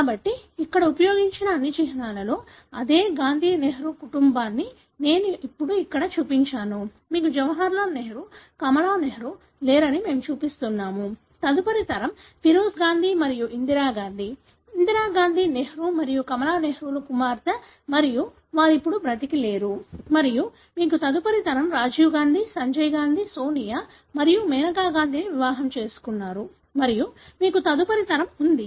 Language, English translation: Telugu, So,, I have shown here now the same Gandhi Nehru family with all the symbols that have been used here; we are showing that you have Jawaharlal Nehru, Kamala Nehru, no longer alive; next generation is Feroze Gandhi and Indira Gandhi; Indira Gandhi being daughter of Nehru and Kamala Nehru and again they are not alive now and you have next generation Rajiv Gandhi, Sanjay Gandhi, married to Sonia and Menaka Gandhi and you have the next generation